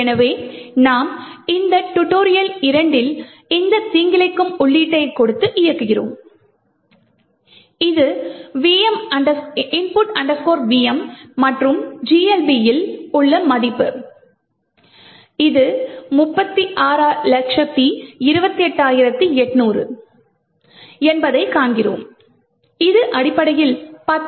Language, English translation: Tamil, So, we run this tutorial 2, give it this malicious input, which is input vm and we see that the value in GLB is 3628800, this essentially is the value for 10 factorial are which you can actually verify